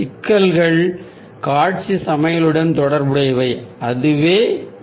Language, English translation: Tamil, ah, the problems are related to the visual balance that is ah our goal ah